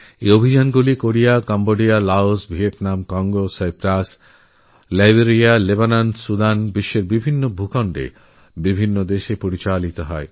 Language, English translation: Bengali, These operations have been carried out in Korea, Cambodia, Laos, Vietnam, Congo, Cyprus, Liberia, Lebanon, Sudan and many other parts of the world